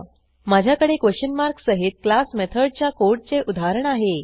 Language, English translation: Marathi, I have a working example of class methods code